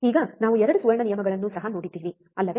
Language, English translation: Kannada, Now, we have also seen 2 golden rules, isn't it